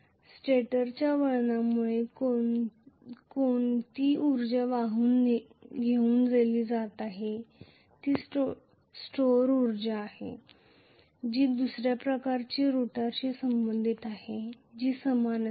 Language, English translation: Marathi, Which is the stored energy in the because of the stator winding carrying a current of is the second one will be corresponding to the rotor which looks similar